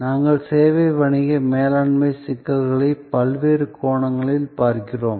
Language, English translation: Tamil, We are looking at the service business management issues from various perspectives